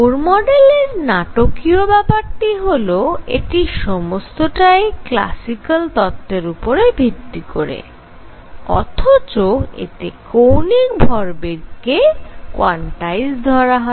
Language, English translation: Bengali, What was dramatic about Bohr’s model this is this is classical physics nothing new what is dramatic was the quantization of angular momentum